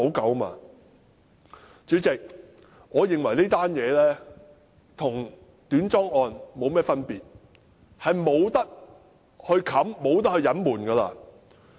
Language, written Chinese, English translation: Cantonese, 代理主席，我認為此事與短樁事件沒有分別，是不能掩飾和隱瞞的。, Deputy President I think this incident is no different from the short - piling incident and it cannot be covered up or concealed